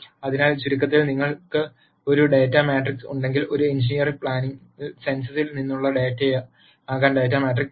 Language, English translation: Malayalam, So, in summary if you have a data matrix the data matrix could be data from census in an engineering plan